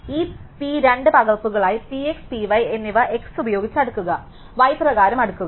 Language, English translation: Malayalam, So, that P has been split into two copies P x and P y sort it by x, sort it by y